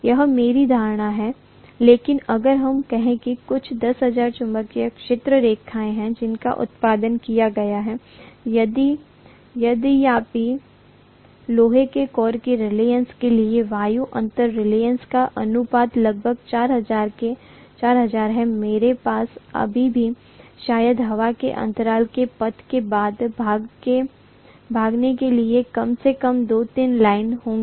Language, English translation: Hindi, That is my assumption but if let us say there are some 10,000 magnetic field lines that have been produced, although the ratio of the air gap reluctance to the reluctance of the iron core is about 4000, I will still have maybe 2 3 lines at least escaping and following the path of air gap